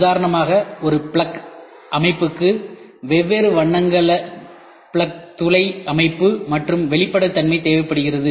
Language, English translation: Tamil, For instance a plug system requires plug housing of different colours and transparency